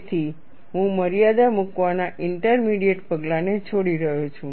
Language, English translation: Gujarati, So, I am skipping the intermediate step of putting the limits